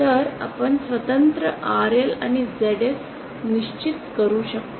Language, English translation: Marathi, So we can independently fix RL and ZS